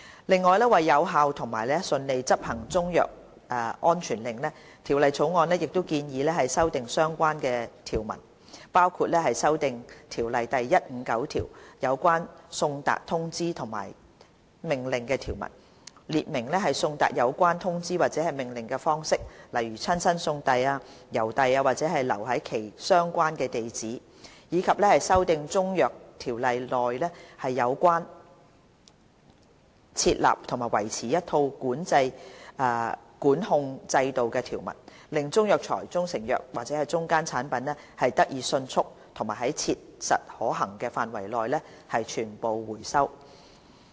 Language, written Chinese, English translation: Cantonese, 另外，為有效和順利執行中藥安全令，《條例草案》亦建議修訂相關條文，包括修訂《條例》第159條有關送達通知和命令的條文，列明送達有關通知或命令的方式，例如親身送遞、郵遞或留在其相關地址；以及修訂《中藥規例》內有關設立和維持一套管控制度的條文，令中藥材、中成藥及/或中間產品得以迅速及在切實可行範圍內得以全部收回。, The Bill also proposes to amend the relevant provisions to enable effective and smooth enforcement of CMSOs including amending section 159 of CMO regarding provisions on service of notices and orders the way of service of notices or orders such as delivery in person or by post to the relevant address as well as amending provisions of CMR regarding the setting up and maintenance of a system of control to enable the rapid and as far as practicable complete recall of Chinese herbal medicines proprietary Chinese medicines andor intermediate products